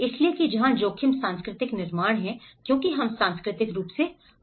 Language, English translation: Hindi, So that is where risk is cultural constructed because we are all culturally biased